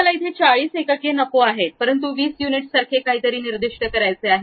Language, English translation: Marathi, I do not want 44 units, but something like 20 units, I would like to really specify